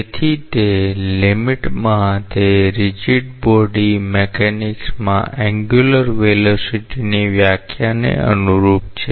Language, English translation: Gujarati, So, in that limit it corresponds to the definition of angular velocity in rigid body mechanics